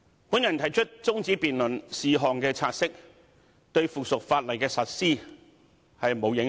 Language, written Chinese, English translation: Cantonese, "我動議中止辯論是項"察悉議案"，對《修訂規則》的實施並無影響。, I moved a motion to adjourn the debate on the take - note motion . It does not affect the implementation of the Amendment Rules